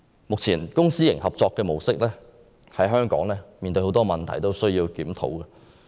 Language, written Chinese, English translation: Cantonese, 目前，公私營合作模式在香港面對很多問題，需要檢討。, At present the public - private partnership approach in Hong Kong is beset with problems and needs to be reviewed